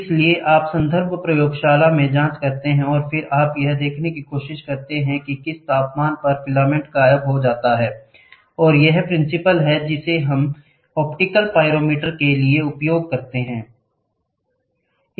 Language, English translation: Hindi, So, you check with the reference lab and then you try to see at what temperature the filament disappears, and this is the principal we used for the optical pyrometer